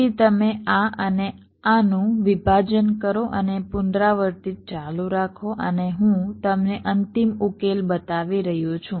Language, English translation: Gujarati, then you do a partitioning of this and this and continue recursively and i am showing you the final solution